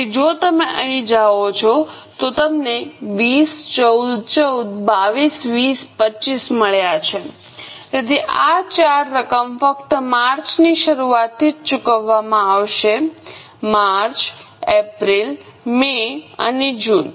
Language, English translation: Gujarati, So, if you go here you have got 20 14 14, 14, 20 25 So, these four amounts only will be paid from the beginning of March, March, April, May and June